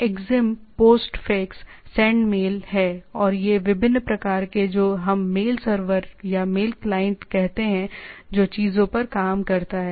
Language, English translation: Hindi, So, there are Exim, Postfix, Sendmail and these are the different kind of what we say mail server or mail client which acts on the things